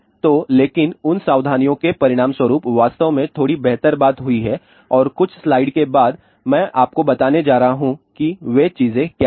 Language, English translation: Hindi, So, but those precautions actually have resulted into a little better thing and after a few slides I am going to tell you what are those things